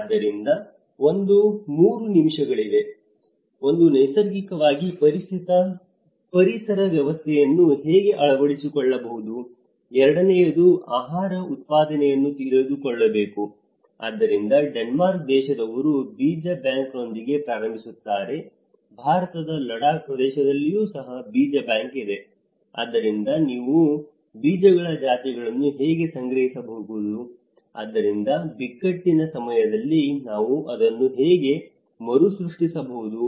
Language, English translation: Kannada, So, there is a 3 things; one is how it can naturally the ecosystem should adopt, the second is the food production should know, so that is why the Denmark, they started with the seed bank, how we can store the seed bank even in India we have in Ladakh area where there is a seed bank so, how we can store the species of seeds, so that in the time of crisis how we can regenerate it further